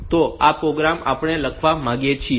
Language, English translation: Gujarati, So, this program we want to write